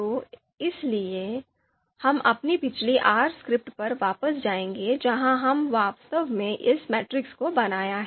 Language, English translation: Hindi, So for this, we will go back to our previous RScript where we have actually created this matrix